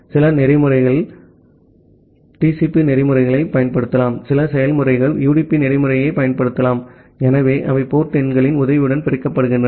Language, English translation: Tamil, Some of the processes may use the TCP protocol, some of the process may use UDP protocol, so that are segregated with the help of the port numbers